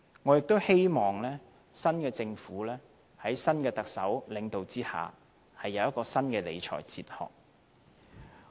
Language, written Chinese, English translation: Cantonese, 我亦希望新一屆政府在新的特首領導下，有新的理財哲學。, I also hope that under the leadership of the new Chief Executive the Government of the next term will have new thoughts on public finance management